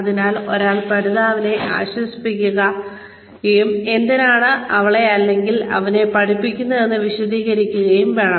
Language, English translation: Malayalam, So, one should put the learner at ease, and explain why, she or he is being taught